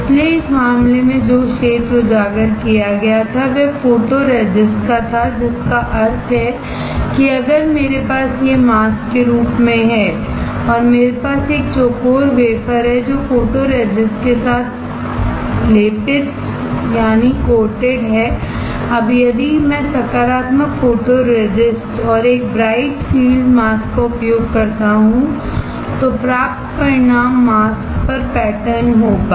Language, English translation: Hindi, So, in this case the area which was exposed the photoresist got etched; which means, that if I have this as a mask and I have a square wafer which is coated with the photoresist; Now, if I use positive photoresist and a bright field mask then the result obtained will be the pattern on the mask